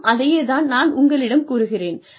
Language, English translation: Tamil, And, i will say the same thing to you